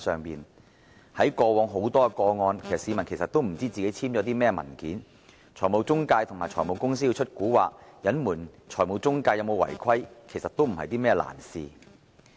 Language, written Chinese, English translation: Cantonese, 在過往眾多個案中，市民其實不知道自己簽了甚麼文件，財務中介和財務公司如果想使詐隱瞞財務中介有否違規，其實並非難事。, In the numerous cases in the past members of the public actually had no idea what documents they had signed . In fact it was not difficult for the financial intermediaries and finance companies to play tricks to hide any non - compliance on the part of the finance intermediaries if they wished to do so